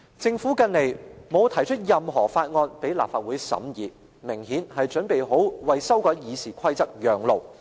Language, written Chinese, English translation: Cantonese, 政府近來沒有提交任何法案供立法會審議，明顯是準備好為修改《議事規則》讓路。, It is obvious enough that the Governments denial to submit any bill to the Legislative Council for scrutiny is to make way for the RoP amendments